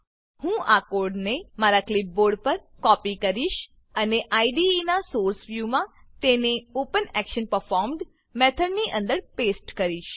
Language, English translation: Gujarati, I will copy this code onto my clipboard, and in the Source view of the IDE, paste it inside the OpenActionPerformed method